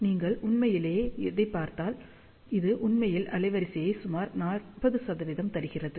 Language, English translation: Tamil, If you really look at it, this actually gives bandwidth of approximately 40 percent